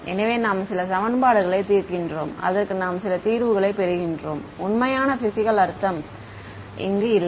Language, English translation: Tamil, So, you are you are solving some system of equations you are getting some solution it has no real physical meaning